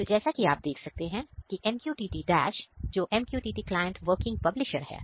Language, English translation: Hindi, So, and here we have MQTT Dash which is MQTT client working as a publisher